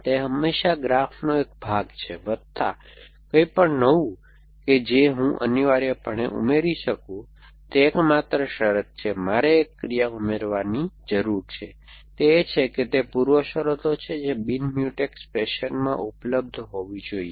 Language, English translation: Gujarati, So, that is always part of the graph plus anything new that I can add essentially the only condition, I need for adding an action is that it is preconditions must be available in a non Mutex fashion essentially